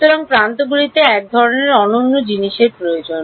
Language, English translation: Bengali, So, the edges need some kind of a unique thing right